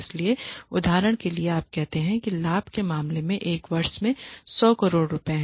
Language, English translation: Hindi, So, for example, you make say 100 crores in a year in terms of profit